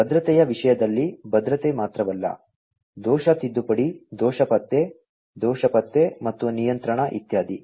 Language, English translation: Kannada, And, in terms of security not only security, but also error correction, error detection, error detection and control etcetera